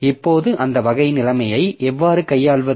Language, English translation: Tamil, Now, that type of situation how to handle